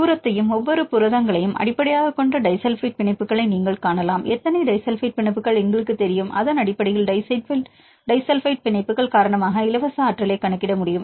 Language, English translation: Tamil, You can see the disulfide bonds based on the distance and each proteins; we know how many disulfide bonds, based on that you can calculate the free energy due to disulfide bonds